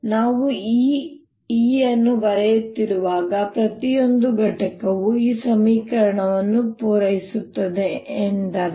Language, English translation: Kannada, when i am writing this e, that means each component satisfies this equation